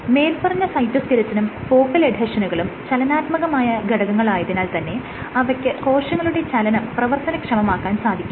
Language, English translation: Malayalam, These structures: the cytoskeleton or focal adhesions they are dynamic, that is how the enable movement